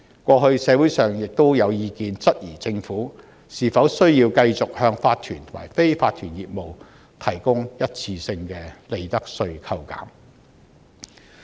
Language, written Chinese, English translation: Cantonese, 過去，社會上亦有意見質疑政府是否需要繼續向法團和非法團業務提供一次性的利得稅扣減。, In the past the community had queried whether or not the Government needed to continue to provide one - off reduction on profits tax to corporations and unincorporated businesses